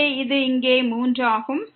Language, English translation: Tamil, So, this is 3 here